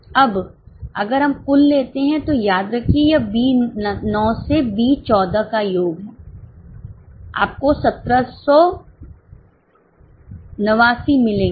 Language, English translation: Hindi, Now if we take total remember this is sum of B9 to be 14 you will get 1 779